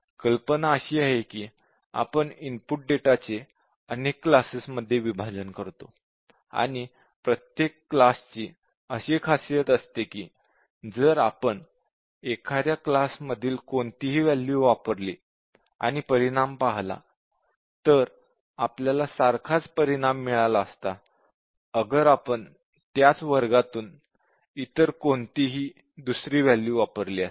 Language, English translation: Marathi, So, we will partition the data, input data, into a number of, number of classes, such that, each class will be, when you consider value from any class, the result will be the same as considering any other value from the same class